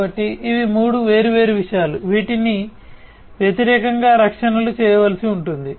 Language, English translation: Telugu, So, these are the 3 different things against which the protections will have to be made